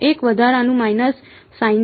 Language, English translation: Gujarati, One extra minus sign right